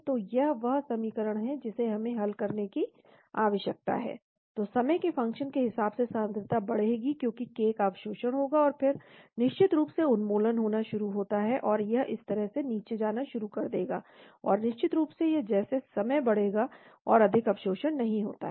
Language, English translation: Hindi, So this is the equation we need to solve, so as a function of time concentration will increase because of k absorption, and then of course the elimination starts taking place so it will start going down like this , and of course as the time increases there is no more absorption